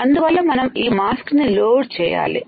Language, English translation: Telugu, So, we load the mask